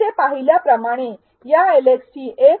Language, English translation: Marathi, As observed here, this LxT 1